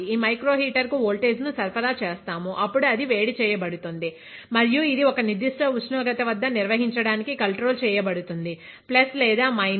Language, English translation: Telugu, This microheater we will supply voltage this microheater and it will be heated up; and it can be controlled to be maintained at a particular temperature, let us say plus or minus 0